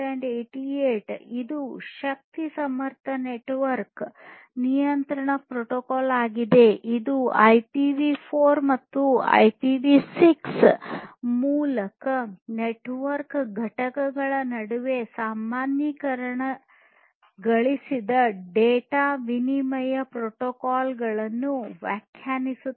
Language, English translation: Kannada, IEEE 1888 this one is an energy efficient network control protocol, which defines a generalized data exchange protocol between the network components over IPv4 or IPv6